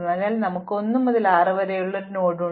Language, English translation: Malayalam, So, we have a node from 1 to 6 for example,